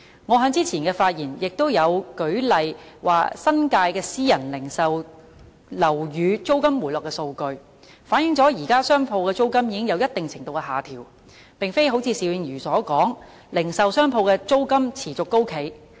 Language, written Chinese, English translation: Cantonese, 我在之前的發言亦舉出了新界私人零售樓宇租金回落的數據，反映現時商鋪的租金已經有一定程度的下調，而並非邵議員所說般持續高企。, In my previous speech I cited statistics of the decline in rentals of private retail properties in the New Territories indicating a certain extent of downward adjustment in prevalent rentals of shop premises which are not persistently high as Mr SHIU suggested